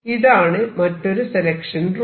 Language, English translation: Malayalam, So, this is another selection rule